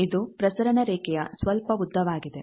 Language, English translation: Kannada, It is some length of transmission line